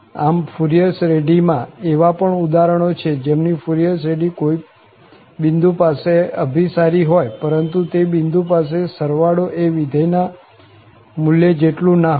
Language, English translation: Gujarati, So, there are such examples as well which exist in the literature whose Fourier series converges at a point, but the sum is not equal to the value of the function at that point